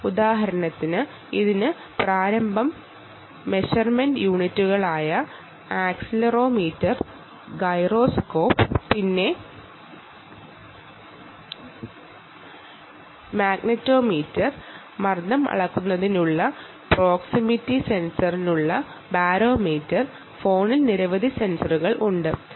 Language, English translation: Malayalam, for instance, it has ah, the inertial measurement units like accelerometer, gyroscope, then ah, magnetometer barometer for pressure measurement, proximity sensor, right, so so many sensors are there which are there on the phone